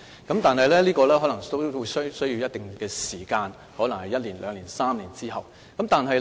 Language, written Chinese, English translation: Cantonese, 但是，這可能需要一定時間，可能是一年、兩年或3年後。, But this may take quite some time . The reviews may take one year two years or three years to complete